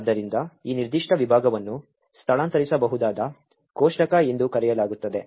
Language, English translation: Kannada, So, this particular section is known as the Relocatable Table